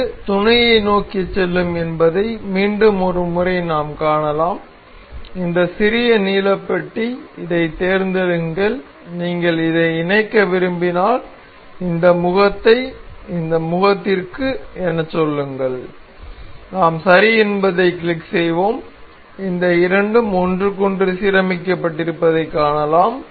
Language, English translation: Tamil, Once again we can see it will go to mate, this little blue blue tab select this and if you want to mate this say this face to this face and we will click ok, we can see these two are aligned with each other